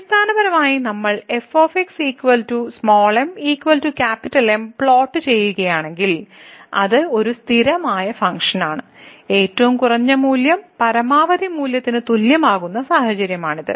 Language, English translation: Malayalam, So, basically if we plot this it is a constant function and that would be the situation when the minimum value will be equal to the maximum value